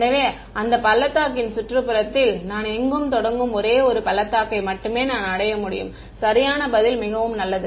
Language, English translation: Tamil, So, there is only one valley I start anywhere in the neighbourhood of that valley I reach the correct answer very good